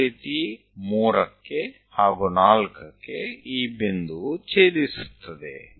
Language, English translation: Kannada, 3, similarly at 4, also intersect this point